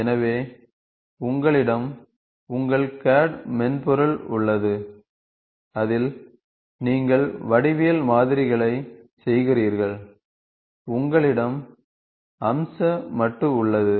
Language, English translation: Tamil, So, you have your CAD software, where in which you do geometric modelling and you have a feature modular